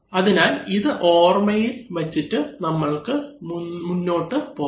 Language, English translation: Malayalam, So let us remember this and then go ahead